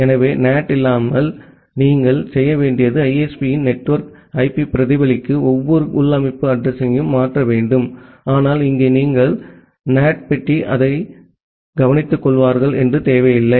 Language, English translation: Tamil, So, without NAT what you have to do that every internal system address need to be changed to reflect the network IP of the ISP, but here you do not require that the NAT box will take care of that